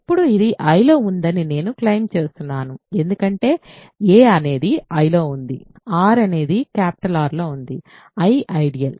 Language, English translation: Telugu, Now, I claim this is in I because a is in I, r is in R capital I is an ideal